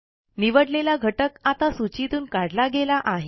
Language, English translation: Marathi, We see that the item we chose is no longer on the list